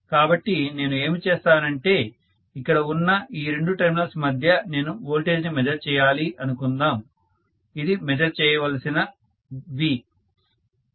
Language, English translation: Telugu, So what I am going to do is, let us say these are the two terminals across which I have to measure the voltage, so this is the V to V measured